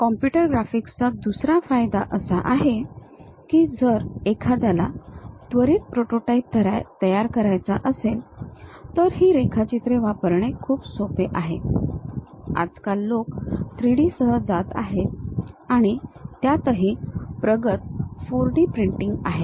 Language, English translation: Marathi, The other advantage of these computer graphics is if one would like to quickly prepare a prototype it is quite easy to use these drawings; these days people are going with 3D and the advance is like 4D printing